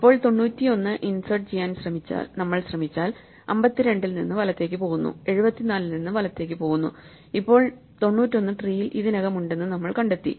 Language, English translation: Malayalam, So, if now we try to for instance insert ninety one then we go right from 52 we go right from 74 and now we find that 91 is already present in the tree